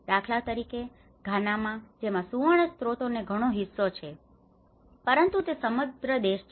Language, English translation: Gujarati, Like for instance in Ghana, which has much of gold resource, but is it a rich country